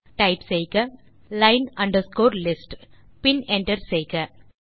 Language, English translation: Tamil, so type line underscore list and hit Enter